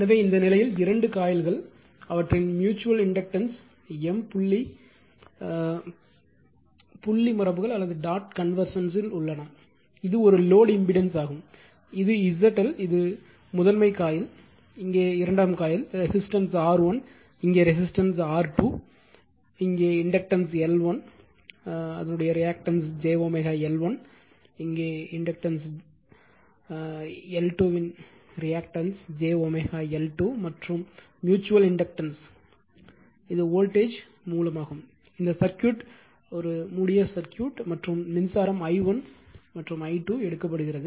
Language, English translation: Tamil, So, in this case your in this case two coils are there dot conventions given their mutual inductance is M and this is one load impedance is that Z L this is the primary coil this is a secondary coil here, resistance is R 1 here resistance is R 2 here inductance L 1 means reactance is j omega L 1 here it is j omega L 2 and mutual inductance is then this is the voltage source this circuit is close actually right and current is taken i 1 and i 2